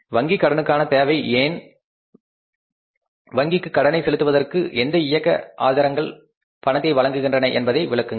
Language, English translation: Tamil, Explain why there is a need for a bank loan and what operating sources supply cash for paying the bank loan